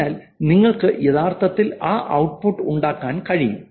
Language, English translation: Malayalam, So you can actually make that output, that's the last part